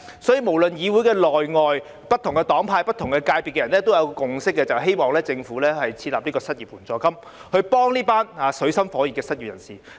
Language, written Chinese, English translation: Cantonese, 所以，無論在議會內外，不同黨派、不同界別人士都有一個共識，就是希望政府設立失業援助金，幫助這群水深火熱的失業人士。, Therefore there is a consensus among people from different political parties camps and sectors both inside and outside the legislature . We hope that the Government can establish an unemployment assistance to help this group of unemployed people being caught in dire straits